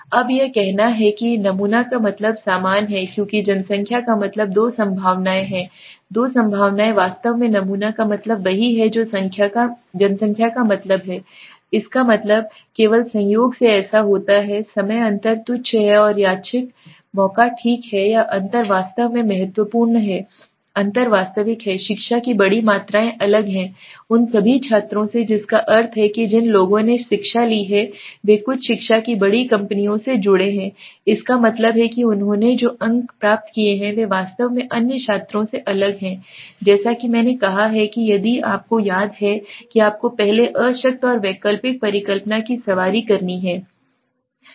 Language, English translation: Hindi, Now it saying the sample mean is the same as the population means two possibilities there are two possibilities actually the sample mean is the same as the population mean that means it is only by chance it has happen is time the difference is trivial and caused by random chance okay or the difference is actually significant the difference is real the education majors are different from all students that means the people who have taken education some education majors there mean that they have derived the scores are actually different from the other students okay now what is the as I said if you remember you have to first ride the null and alternative hypothesis